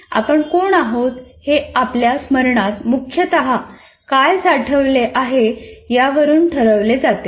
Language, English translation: Marathi, Who we are is essentially decided by what is stored in our memory